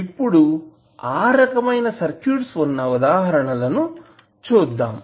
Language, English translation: Telugu, Now, let us see the example of such types of circuits